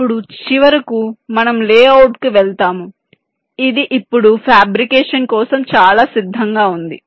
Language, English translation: Telugu, then, finally, we go down to the lay out, which is now quite ready for fabrication